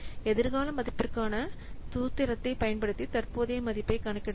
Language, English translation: Tamil, We can compute the present value by using the formula for the future value